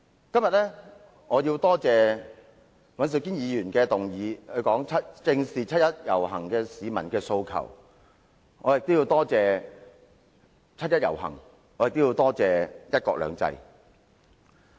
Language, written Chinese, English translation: Cantonese, 我今天要感謝尹兆堅議員提出"正視七一遊行市民的訴求"的議案，也要感謝七一遊行和"一國兩制"。, Today I would like to thank Mr Andrew WAN for moving the motion on Facing up to the aspirations of the people participating in the 1 July march . I would also like to express my gratitude to the 1 July march and one country two systems